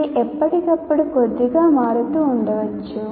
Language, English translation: Telugu, This may keep changing slightly from time to time